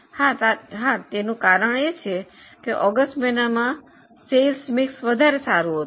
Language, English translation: Gujarati, Yes, the reasoning is because of better sales mix in the month of August